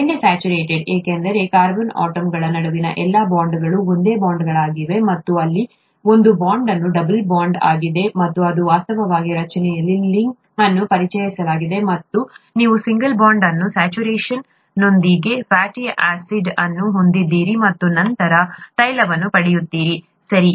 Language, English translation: Kannada, Butter, saturated because all the bonds between carbon atoms are single bonds, and here one bond is a double bond, which actually introduces a kink in the structure and you have a fatty acid with one, one bond unsaturation, and then you get oil, okay